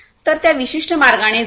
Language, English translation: Marathi, So, take it in that particular way